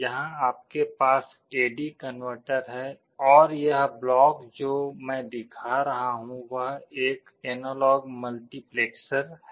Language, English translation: Hindi, Here you have an A/D converter and this block that I am showing is an analog multiplexer